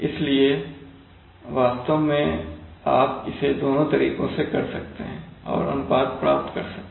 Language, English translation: Hindi, So this is, so you could do it in actually in either manner and get the ratio